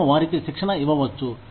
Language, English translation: Telugu, We may give them, training